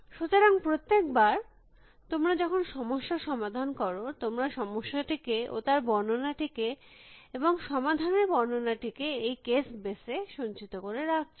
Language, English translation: Bengali, So, every time is solve a problem, you store the problem and the description and the solution description into this case base